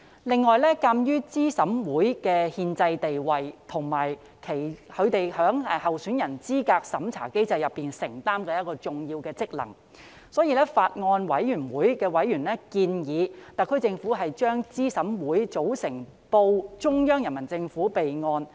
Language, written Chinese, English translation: Cantonese, 另外，鑒於資審會的憲制地位及其在候選人資格審查機制中承擔的重要職能，法案委員會委員建議特區政府把資審會的組成報中央人民政府備案。, In addition in view of the constitutional status of CERC and its important function under the candidate eligibility review mechanism members of the Bills Committee have suggested that the SAR Government should report the composition of CERC to the Central Peoples Government for the record